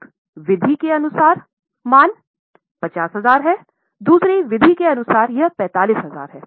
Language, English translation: Hindi, As per one method, the value 50,000, as per the other method it is 45,000